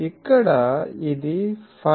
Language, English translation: Telugu, So, here it is 5